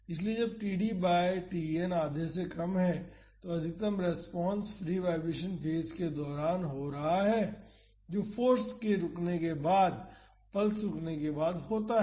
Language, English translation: Hindi, So, when td by Tn is less than half then the maximum response is happening during the free vibration phase that is after the pulse after the force stops